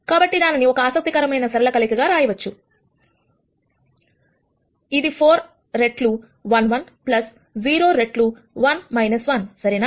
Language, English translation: Telugu, So, that can be written as an interest ing linear combination, which is 4 times 1 1 plus 0 times 1 minus 1 right